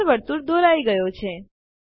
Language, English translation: Gujarati, An in circle is drawn